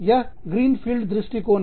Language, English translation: Hindi, That is the, greenfield approach